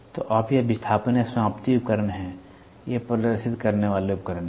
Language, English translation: Hindi, So, you this is displace or terminating device these are the displaying devices